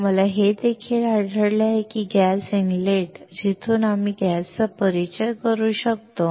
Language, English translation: Marathi, We also found that the gas inlet from where we can introduce the gas